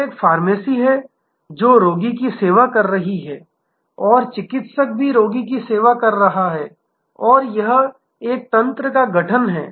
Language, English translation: Hindi, So, there is a pharmacy is serving the patient and the therapist is also serving the patient and there is a network formation here